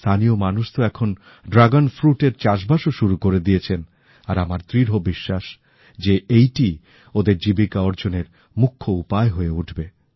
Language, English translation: Bengali, The locals have now started the cultivation of Dragon fruit and I am sure that it will soon become a major source of livelihood for the people there